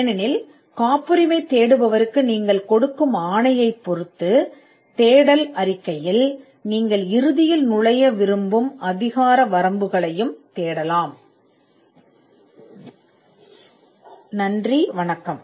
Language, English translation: Tamil, Because, the patentability search report depending on the mandate you give to the searcher can also search for jurisdictions where you want to enter eventually